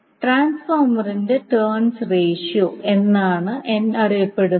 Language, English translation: Malayalam, n is popularly known as the terms ratio of the transformer